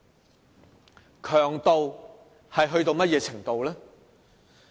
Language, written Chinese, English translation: Cantonese, 那種強度到了甚麼程度呢？, How vigorous were these strong feelings of ours?